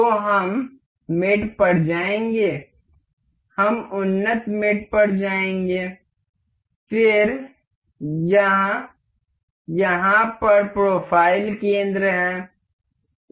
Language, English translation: Hindi, So, we will go to mate, we will go to advanced mates; then, this is profile center over here